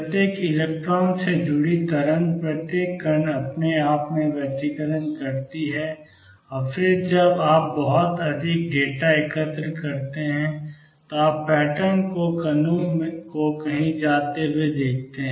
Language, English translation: Hindi, Wave associated with each electron each particle interferes with itself and then when you collect a lot of data you see the pattern emerging the particles going somewhere